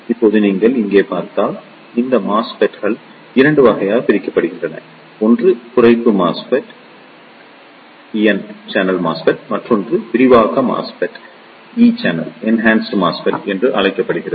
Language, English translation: Tamil, Now, if you see here this MOSFETs are divided into 2 categories; one is known as the Depletion MOSFET and other one is Enhancement type MOSFET